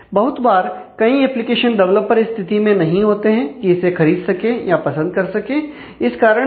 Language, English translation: Hindi, So, many a times, many developers may not be able to afford it or like it for that reason